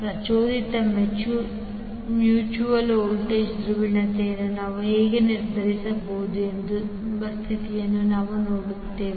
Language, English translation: Kannada, So we will see how if this is the condition how we can determine the induced mutual voltage polarity